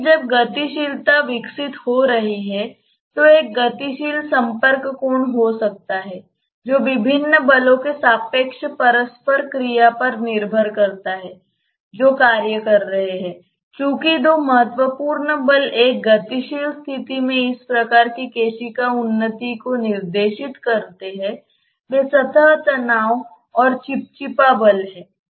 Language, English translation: Hindi, But when dynamics is evolving one may have a dynamic contact angle which depends on the relative interplay of various forces which are acting and since the two important forces dictating this type of capillary advancement in a dynamic condition are the surface tension and the viscous forces